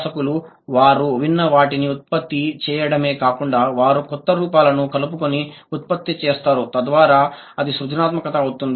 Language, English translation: Telugu, The learners not only produce what they have heard, they also produced by including novel forms